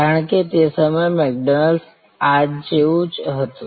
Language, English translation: Gujarati, Because, McDonald's was at that time remains today